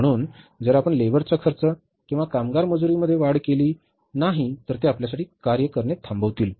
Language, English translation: Marathi, So, if you don't increase the labor's expenses or labor wages, they'll stop working for you